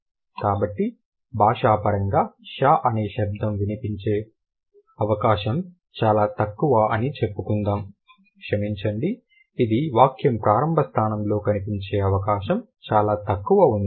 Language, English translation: Telugu, So cross linguistically, let's say the sound sure is very unlikely to appear, sorry, is very likely to appear at the sentence initial position